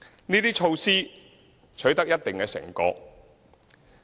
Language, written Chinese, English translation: Cantonese, 這些措施取得一定成果。, These measures have borne fruit